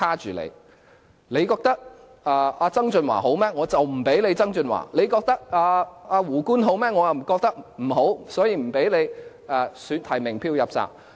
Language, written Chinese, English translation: Cantonese, 如果大家覺得曾俊華好，就不給曾俊華；如果大家覺得"胡官"好，我卻覺得不好，便不給他提名票"入閘"。, If we are in favour of John TSANG no nominations will be given to him; if we are in favour of Justice WOO but Western District or the Central Authorities thinks otherwise no nominations will be given to him either